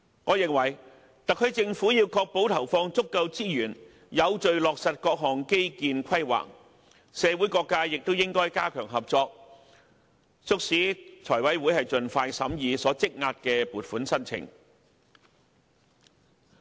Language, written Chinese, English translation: Cantonese, 我認為特區政府要確保投放足夠資源，有秩序地落實各項基建規劃，社會各界亦應加強合作，促使財委會盡快審議積壓的撥款申請。, I consider that the SAR Government should ensure that sufficient resources are allocated so that all infrastructural plans can be implemented in an orderly manner . All sectors in society should enhance their cooperation and urge the Finance Committee to speed up its scrutiny of the funding request backlog